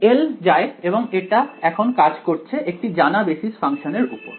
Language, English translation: Bengali, L goes and now it is acting on a known basis function